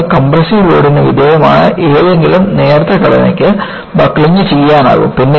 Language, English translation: Malayalam, Any thin structure, subjected to compressive loads can be buckled